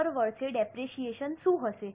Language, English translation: Gujarati, What will be the depreciation every year